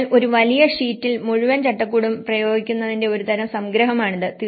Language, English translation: Malayalam, So, this is a kind of summary of applying the whole framework in one big sheet